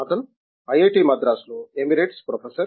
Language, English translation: Telugu, He is professor emeritus here in IIT, Madras